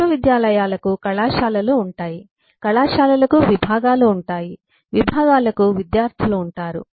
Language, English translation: Telugu, universities will have colleges, colleges have departments, departments have students and so on